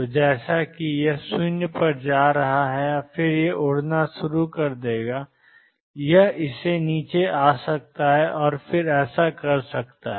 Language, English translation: Hindi, So, that as if it is going to 0 and then it will start blowing up it could do this come down and then do this